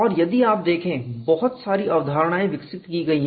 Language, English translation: Hindi, And if you look at many concepts have been developed